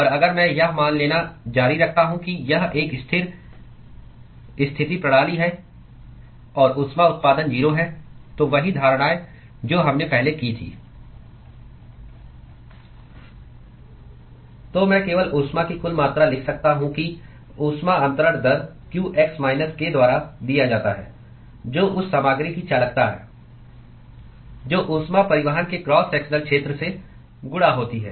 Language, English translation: Hindi, And if I continue to assume that it is a Steady State system and heat generation is 0, same assumptions as what we made before: So, I could simply write the total amount of heat that heat transfer rate qx is given by minus k which is the conductivity of that material multiplied by the cross sectional area of heat transport